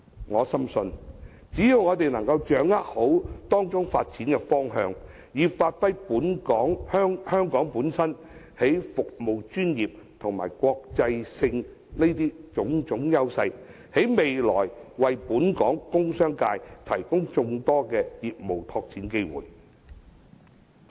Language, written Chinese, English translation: Cantonese, 我深信，只要我們掌握好發展方向，以發揮香港本身在服務專業等優勢，充分利用其國際地位，在未來當為本港工業界提供眾多業務拓展機會。, I am convinced that as long as we grasp the proper direction of development give full play to our advantages in the service professions and well utilize our international status there will be plenty of opportunities for Hong Kongs commercial and industrial sectors to develop and expand their business operations